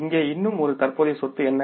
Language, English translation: Tamil, What is the one more current asset here